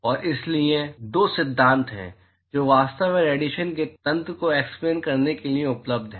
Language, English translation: Hindi, And so, there are 2 theories which are actually available to explain the mechanism of radiation